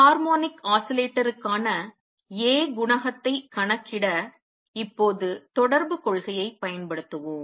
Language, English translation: Tamil, Let us now use correspondence principle to calculate the A coefficient for harmonic oscillator